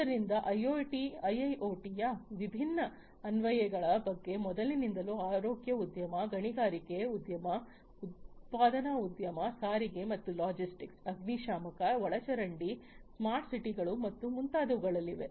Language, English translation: Kannada, So, earlier at the very outset I was talking about the different applications of IIoT the key applications of IIoT are in the healthcare industry, in mining industry, manufacturing industry, transportation and logistics, firefighting, sewerage, city you know smart cities and so on